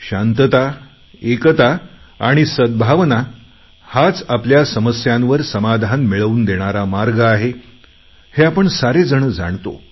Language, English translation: Marathi, We all know that peace, unity and harmony are the only way to solve our problems and also the way to our progress and development